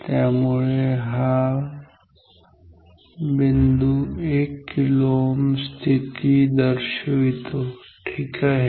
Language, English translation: Marathi, So, this point is 1 kilo ohm position ok